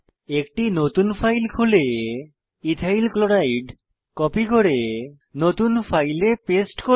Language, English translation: Bengali, Open a new file, copy Ethyl Chloride and paste it into new file